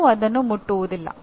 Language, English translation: Kannada, Nobody will ever touch that